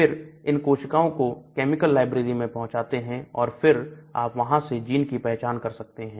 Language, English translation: Hindi, Then we have a chemical library exposure of these cells to the chemical library and then from there you identify the gene